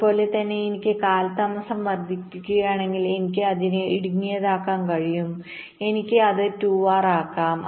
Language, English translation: Malayalam, similarly, if i want to increase the delay, i can make it narrower, i can make it two r